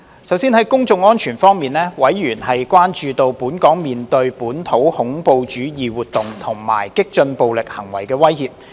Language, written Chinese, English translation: Cantonese, 首先，在公眾安全方面，委員關注到，本港面對本土恐怖主義活動和激進暴力行為的威脅。, First in respect of public safety members expressed concerns about the threat of domestic terrorism and radical and violent acts to Hong Kong